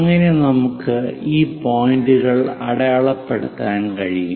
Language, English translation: Malayalam, So, we can mark these points